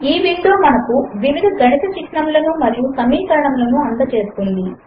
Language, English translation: Telugu, This window provides us with a range of mathematical symbols and expressions